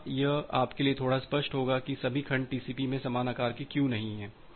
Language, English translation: Hindi, Here it will be little clear to you that why all the segments are not of equal size in TCP